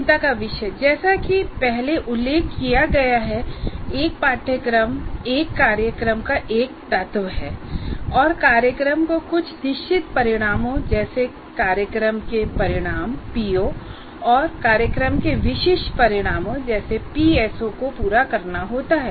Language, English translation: Hindi, As we all mentioned earlier, a course is an element of a program and the program itself has to meet a certain number of outcomes, namely program outcomes and program specific outcomes